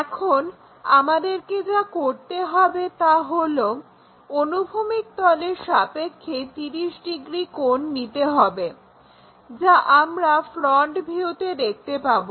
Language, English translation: Bengali, Now, what we have to do is 30 degrees with respect to horizontal plane, which we will see it in the front view